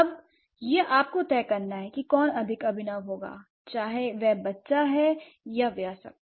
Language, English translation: Hindi, So, now it is up to you to decide who is going to be more innovative, whether it's the child or the adult